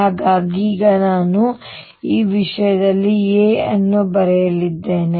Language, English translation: Kannada, So now I am going to write r in terms of this a